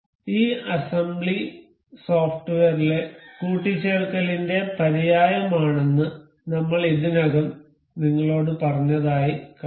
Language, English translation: Malayalam, And we can see I have already told you this assembly is synonymous to mate in the software